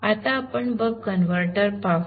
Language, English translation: Marathi, Now first let us look at the buck converter